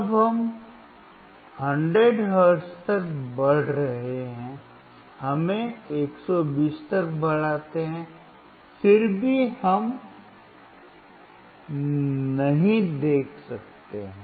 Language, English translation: Hindi, Now we are increasing to 100 hertz, let us increase to 120 , still we cannot see